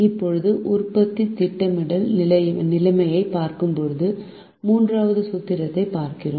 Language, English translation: Tamil, now we look at the third formulation where we look at production planning situation